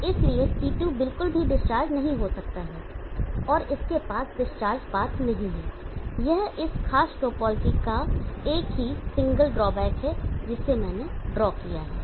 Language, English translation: Hindi, So therefore, Ct cannot be discharged at all and it does not have a discharge path this is the one single drawback of this particular topology that I have drawn